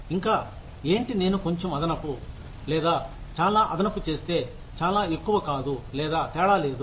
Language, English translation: Telugu, And, what I will get, if I do a little extra, or a lot extra, is not very much, or there is no difference